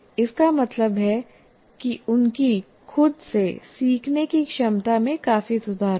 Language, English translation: Hindi, That means their ability to learn by themselves will significantly improve